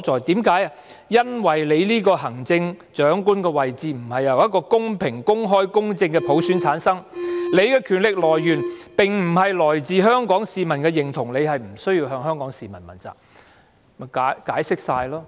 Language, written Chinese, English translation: Cantonese, 全因為你這個行政長官位置並不是由一個公平、公開、公正的普選所產生，你權力的來源並不是源自香港市民的認同，你不用向香港市民問責。, It is all because your position as the Chief Executive is not chosen by a fair open and just universal suffrage . The source of your power does not come from the approval of Hong Kong citizens and you are not accountable to the people of Hong Kong